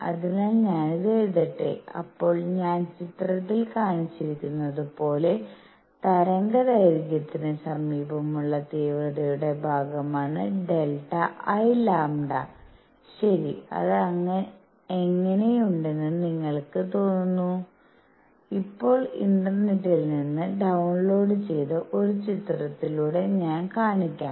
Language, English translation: Malayalam, So, let me write this, so where delta I lambda is the intensity portion near the wavelength lambda as I shown in picture, alright, and how does it look it looks like, I will now show through a picture downloaded from the internet